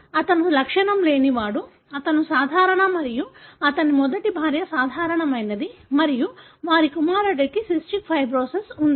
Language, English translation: Telugu, So, he is asymptomatic, he is normal and his first wife, she was normal and their son had cystic fibrosis